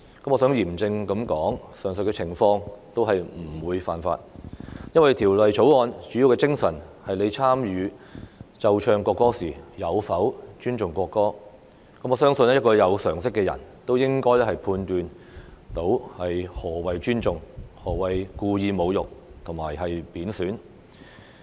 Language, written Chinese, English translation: Cantonese, 我想嚴正地指出，上述的情況均不屬犯法，因為《條例草案》的主要精神是參與奏唱國歌時有否尊重國歌，我相信有常識的人也能判斷何謂尊重、何謂故意侮辱和貶損。, I would like to point out solemnly that none of the above mentioned scenarios is an offence because the main spirit of the Bill is whether the national anthem is respected when it is played and sung . I believe anyone with common sense can differentiate respect intentional insult and disrespect